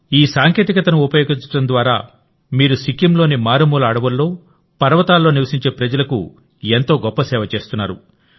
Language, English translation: Telugu, By using this technology, you are doing such a great service to the people living in the remote forests and mountains of Sikkim